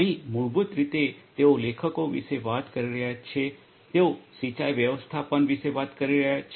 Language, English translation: Gujarati, Here basically they are talking about the authors they are talking about the irrigation management